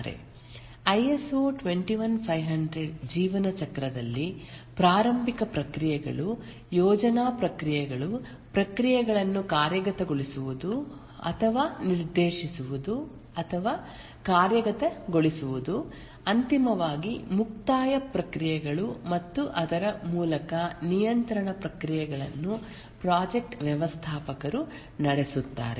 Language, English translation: Kannada, The ISO 21,500 lifecycle, here also we have the initiating processes, the planning processes, implementing or the directing or executing processes and finally the closing processes and throughout the controlling processes are carried out by the project manager